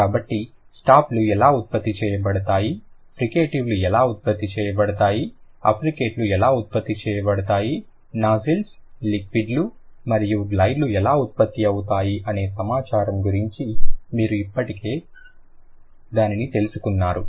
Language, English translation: Telugu, So, just for your information how the stops have produced, fricatives have produced, africates have produced, nasals, liquids and glides, you have already got to know about it